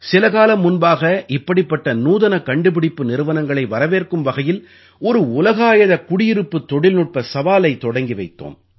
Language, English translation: Tamil, Some time ago we had launched a Global Housing Technology Challenge to invite such innovative companies from all over the world